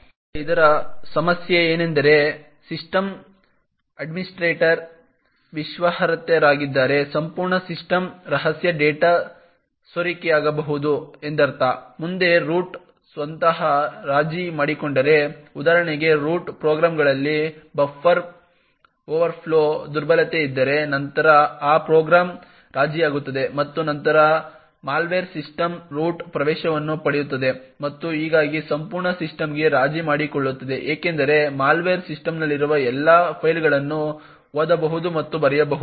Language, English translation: Kannada, Now the problem with this is that if the system administrator is an trusted then it means that the entire systems secret data can be leaked, further if the root itself gets compromised for example if there is a buffer overflow vulnerability in one of the root programs, then that program gets compromised and then the malware gets root access to the system and thus compromises the entire system because the malware can read and write to all files in the system